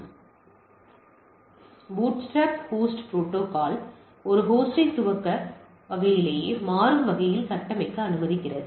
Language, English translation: Tamil, So, bootstrap host protocol allows a host configure itself dynamically at boot type